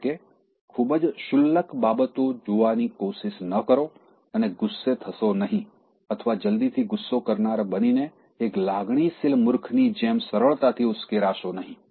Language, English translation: Gujarati, That is, neither try to look at a very trivial thing and get angry or don’t get short tempered and get provoked as easily as just like a very emotionally big person